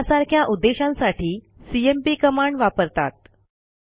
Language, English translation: Marathi, For these and many other purposes we can use the cmp command